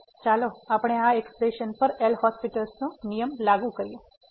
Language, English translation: Gujarati, So, let us apply the L’Hospital’s rule to this expression